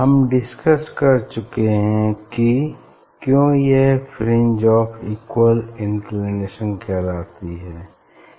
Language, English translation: Hindi, fringe we will see because of the fringe of equal inclination